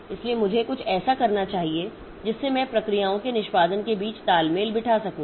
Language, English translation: Hindi, So, so I must do something so that I can synchronize between the execution of processes